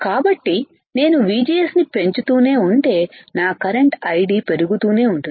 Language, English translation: Telugu, So, as I keep on increasing VGS my I D will keep on increasing